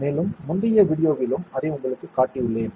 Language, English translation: Tamil, And I have shown it to you in the previous video also